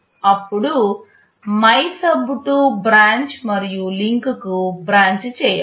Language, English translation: Telugu, Then you branch to MYSUB2 branch and link